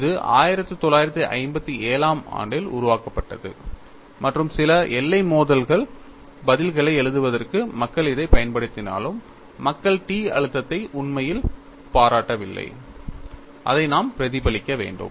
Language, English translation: Tamil, Though it was developed in 1957 and people use this for writing certain boundary collocation answers, people have not really appreciated the t stress; which we will have to reflect up on it